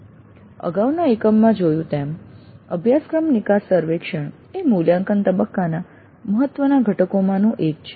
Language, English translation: Gujarati, As we saw in the last unit course exit survey is one of the important components of the evaluate phase